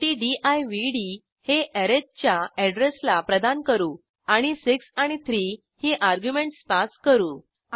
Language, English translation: Marathi, Atlast we set divd to the address of arith And we pass 6 and 3 as arguments